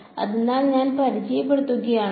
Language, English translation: Malayalam, So, if I introduce